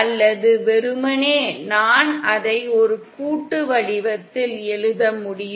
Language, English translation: Tamil, Or simply I can write it in a summation format